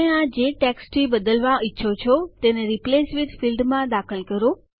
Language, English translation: Gujarati, Enter the text that you want to replace this with in the Replace with field